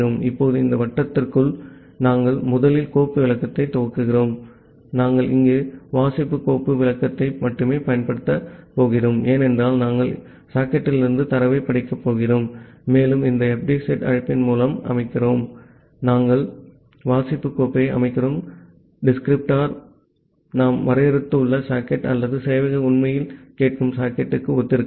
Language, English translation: Tamil, Now inside this while loop, we first initialize the file descriptor, we are here only going to use the read file descriptor because we are going to read data from the socket and we are setting through this fd set call, we are setting the read file descriptor corresponds to the socket that we have defined or the socket where the server is actually listening